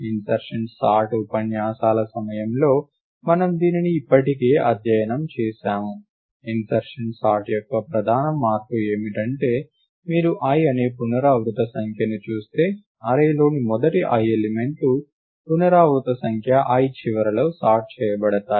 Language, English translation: Telugu, Recall this we have already study this during the insertion sort lectures, the main invariant of insertion sort is that if you look at the iteration numbered i, then the first i elements of the array will be sorted at the end of iteration number i